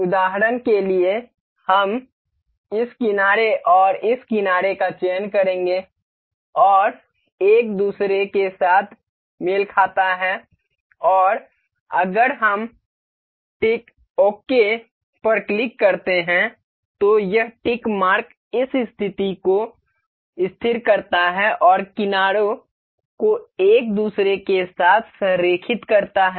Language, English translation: Hindi, For instance we will select this edge and this edge, this coincides with each other and if we click tick ok, this tick mark it fixes this position as and aligns edges with each other